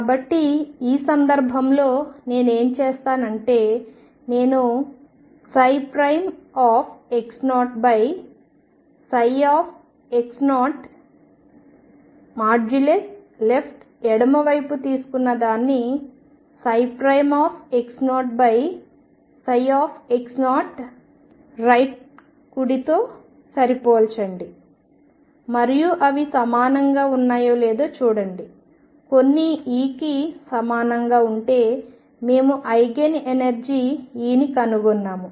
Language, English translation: Telugu, So, in this case what I do is I take psi prime x 0 over psi x 0 left and compare this with psi prime x 0 over psi x 0 coming from right and check if they are equal if they are equal for some e we have found the Eigen energy E, if not we again go to some other energy and check